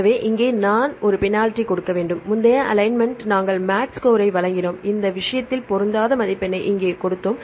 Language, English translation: Tamil, So, here we have to give a penalty now the previous alignment we gave the match score and we gave the mismatch score in this case here we have the gap